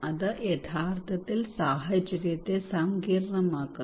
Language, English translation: Malayalam, it actually makes the situation complex